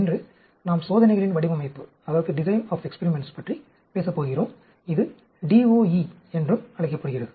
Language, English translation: Tamil, Today, we are going to talk about design of experiments, it is also called DOE